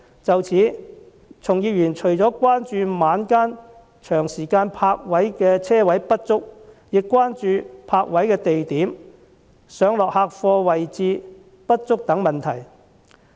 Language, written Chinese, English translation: Cantonese, 就此，從業員除了關注晚間長時間停泊車位不足，亦關注泊位的地點、上落客貨位置不足等問題。, In this regard apart from inadequate supply of long - hour night parking spaces trade practitioners have expressed concern about issues such as the location of parking spaces and the inadequate provision of loadingunloading areas